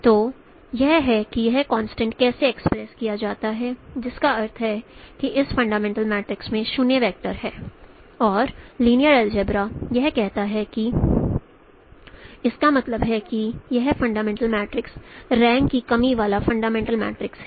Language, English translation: Hindi, So this is how this constraint is expressed and which means that this fundamental matrix has a 0 vector and from the linear algebra it says that that means this fundamental matrix is a rank deficient fundamental matrix